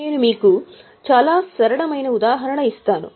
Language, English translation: Telugu, I'll just give you a very simple example